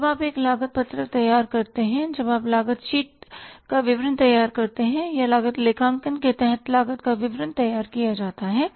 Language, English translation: Hindi, When you prepare a cost sheet when you prepare a statement of cost that cost sheet or the statement of the cost is prepared under the cost accounting